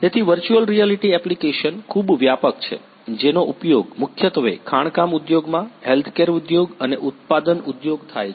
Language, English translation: Gujarati, So, virtual reality application is very wide it is mainly used in the industry mining industry, healthcare industry and manufacturing industry